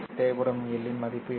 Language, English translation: Tamil, What is the value of L1 required in order to do that